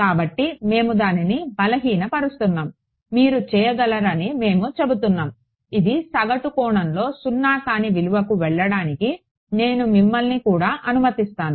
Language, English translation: Telugu, So, we are weakening it we are saying you can I will allow you too have it go to non zero values in a average sense